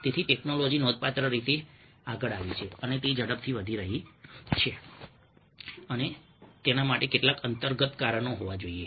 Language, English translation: Gujarati, so the technology has significantly come forward, ah its rapidly exponentially increasing and growing, and there must be some underlying reasons for that